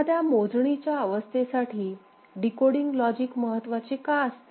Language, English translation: Marathi, Decoding logic, why decoding a counter state is important